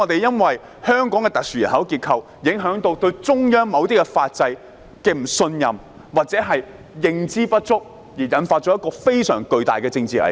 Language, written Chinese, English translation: Cantonese, 由於香港特殊的人口結構，市民對中央的某些法制不信任，或認知不足，導致非常巨大的政治危機。, Given the special population structure of Hong Kong members of the public do not trust or do not understand the legal system of the Central Authorities resulting in an immense political crisis